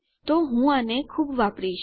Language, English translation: Gujarati, So I will be using this a lot